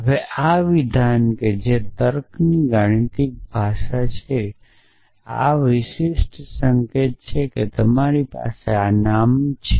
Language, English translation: Gujarati, Now, this statement which is in the mathematical language of logic has this particular notation that you have the predicate name